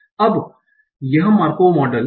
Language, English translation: Hindi, So what is a Markov model